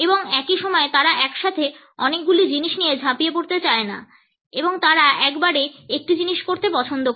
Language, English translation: Bengali, And at the same time they do not want to dabble with so many things simultaneously and they prefer to do one thing at a time